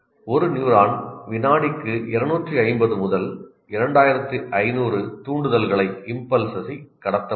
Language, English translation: Tamil, A neuron can transmit between 250 to 2,500 impulses per second